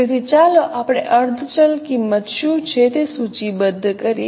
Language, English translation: Gujarati, So, let us list out what are the semi variable cost